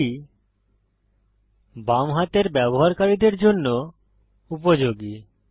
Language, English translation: Bengali, This is useful for left handed users